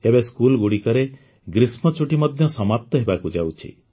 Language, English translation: Odia, Now summer vacations are about to end in many schools